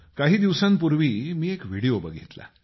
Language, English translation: Marathi, just a few days ago I watched a video